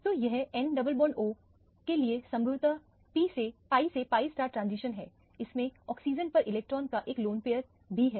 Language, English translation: Hindi, So, it is a pi to pi star transition possible for the n double bond o, it also has a lone pair of electron on the oxygen